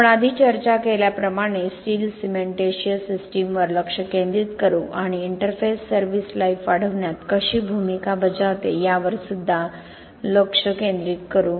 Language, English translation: Marathi, So we will focus as we discussed earlier we will focus on the steel cementitious system and how the interface plays a role in enhancing service life